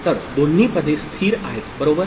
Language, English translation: Marathi, So, both the positions are stable, right